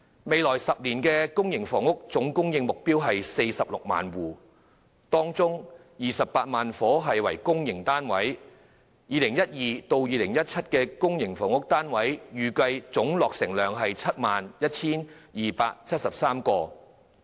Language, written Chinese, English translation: Cantonese, 未來10年，公私營房屋的目標總供應量為 460,000 個單位，當中有 280,000 個單位是公營房屋，而2012年至2017年的公營房屋單位的預計總落成量為 71,273 個。, In the coming 10 years the total supply of public and private housing will be 460 000 units 280 000 of which will be public housing units . In 2012 - 2017 the estimated total output of public housing will be 71 273 units